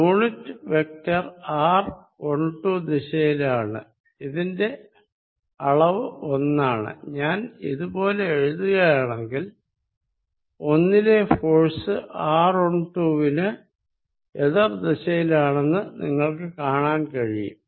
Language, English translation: Malayalam, The unit vector is going to be in r 1 2 direction of magnitude unity, if I write like this then you notice that force on 1 is in the direction opposite of r 1 2